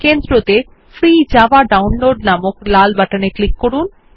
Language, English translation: Bengali, Click on the Red button in the centre that says Free Java Download